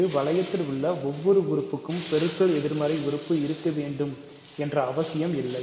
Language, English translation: Tamil, Not every element in a ring is supposed to have, is required to have multiplicative inverses